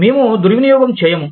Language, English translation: Telugu, We will not hurl abuses